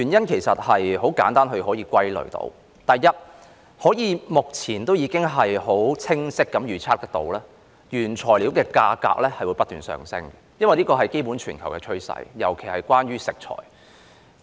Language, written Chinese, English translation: Cantonese, 其實很容易可以歸納出原因：第一，目前已可清晰地預測，原材料的價格會不斷上升，因為這是全球的基本趨勢，尤以食材為甚。, Actually the reasons can be easily summed up as follows firstly it is now clearly predictable that the prices of raw materials will keep rising since this is the basic global trend especially for ingredients